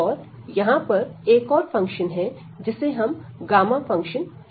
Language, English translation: Hindi, And there is another function it is called gamma function